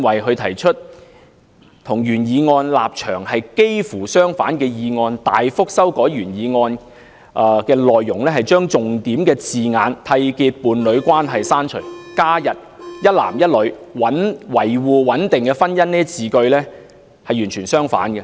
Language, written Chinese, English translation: Cantonese, 她提出幾乎與原議案的立場相反的修正案，大幅修改原議案的內容，刪除重點字眼"締結伴侶關係"，加入"一男一女"、"維護穩定的婚姻"等字句，是完全相反的。, She proposed an amendment almost contrary to the stance of the original motion . It has drastically revised the content of the original motion deleting the key wording enter into a union and adding such expressions as one man and one woman and upholding the stability of the marriage institution which are the exact opposite